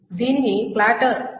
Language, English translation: Telugu, And this is called a platter